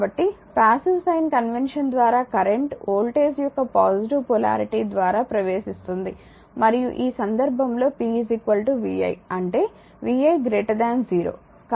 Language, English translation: Telugu, Therefore; so, by the passive sign convention current enters through the positive polarity of the voltage, and this case p is equal to vi; that means, vi greater than 0 right